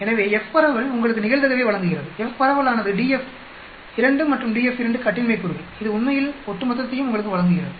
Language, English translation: Tamil, So, F dist gives you the probability of that the f distribution is d f 2 and d f 2 degrees of freedom, this gives you cumulative actually